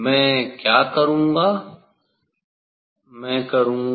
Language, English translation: Hindi, what I will do; I will I will